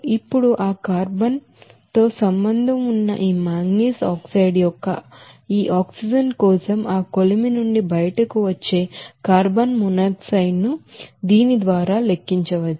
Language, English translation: Telugu, Now, for this oxygen of this manganese oxide which is associated with that carbon to give you that carbon monoxide which will be coming out from that furnace can be calculated by this what will be that